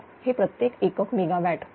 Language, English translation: Marathi, 01544 because this is in per unit megawatt